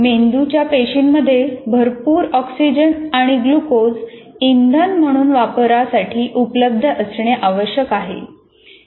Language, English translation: Marathi, Brain cells consume oxygen and glucose for fuel